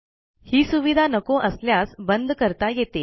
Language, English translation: Marathi, If we do not like this feature, we can turn it off